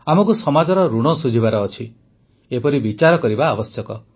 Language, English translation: Odia, We have to pay the debt of society, we must think on these lines